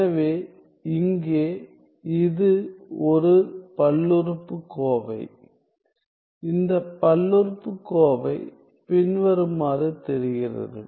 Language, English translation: Tamil, So, where this is a polynomial; it is a polynomial which looks as like follows